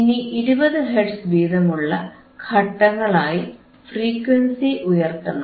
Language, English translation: Malayalam, And slowly increase the frequency at a step of 20 Hertz,